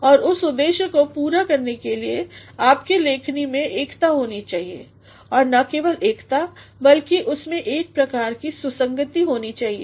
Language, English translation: Hindi, And in order to meet that specific purpose, your writing should have unity and not only unity but it has to have a sort of coherence